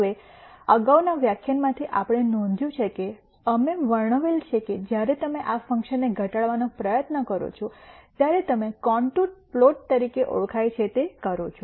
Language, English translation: Gujarati, Now, notice from the previous lecture we described that while you try to minimize these functions you do what are called contour plots